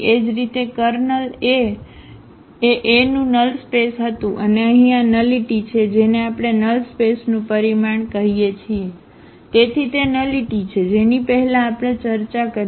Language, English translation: Gujarati, Similarly, the kernel A was null space of A and here again this nullity which we call the dimension of the null space, so that is the nullity which we have discussed already before